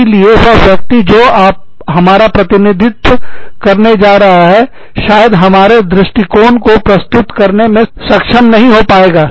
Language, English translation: Hindi, So, maybe, the person is going to represent, not going to be, able to represent the, our point of view